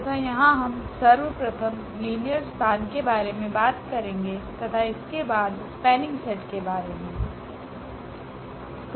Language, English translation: Hindi, And here we will be talking about the linear span first and then will be talking about spanning set